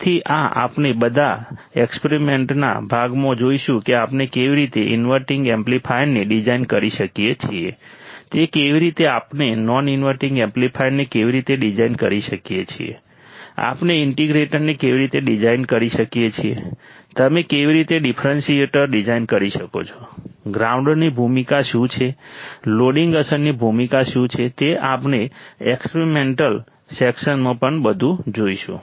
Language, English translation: Gujarati, So, this we all will see in the experiment part also how we can design the inverting amplifier how we can design an non inverting amplifier how we can design integrator how you can design differentiator what is the role of ground what is the role of loading effect we will see everything in the experimental section as well